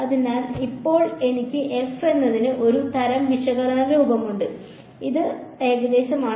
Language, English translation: Malayalam, So, now I have a sort of analytical form for f which is approximation